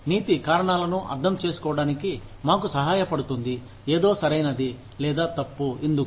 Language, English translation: Telugu, Ethics, helps us understand reasons, why something is right or wrong